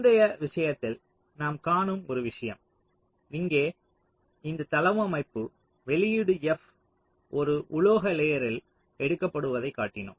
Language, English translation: Tamil, so now one thing: you just see, in our previous case, this layout here, we had shown that the output f was being taken out on a metal layer